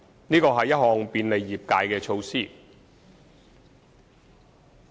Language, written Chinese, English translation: Cantonese, 這是一項便利業界的措施。, This is a facilitation measure for the trade